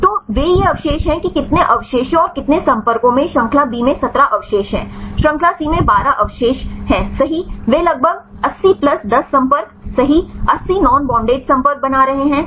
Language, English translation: Hindi, So, the they these are the residues how many residues and how many contacts there is 17 residues in chain B, 12 residues in chain C right they are making about 80 plus 10 contacts right 80 non bonded contacts right